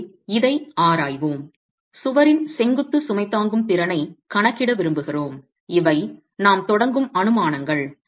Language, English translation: Tamil, We want to calculate the vertical load bearing capacity of the wall and these are the assumptions that we begin with